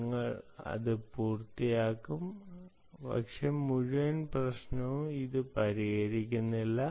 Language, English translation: Malayalam, right, we will finish that, but it doesnt solve the whole problem